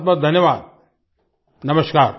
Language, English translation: Hindi, Thank you very much, Namaskar